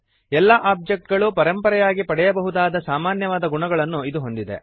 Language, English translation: Kannada, It has the common qualities that all the objects can inherit